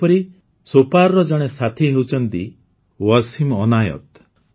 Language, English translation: Odia, Similarly, one such friend is from Sopore… Wasim Anayat